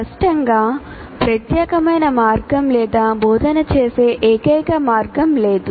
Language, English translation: Telugu, Obviously there is no unique way of doing or the only way of doing